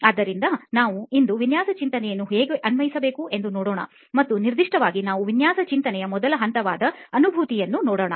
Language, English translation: Kannada, So we today will look at how to apply design thinking and in particular we look at the first stage of design thinking called empathize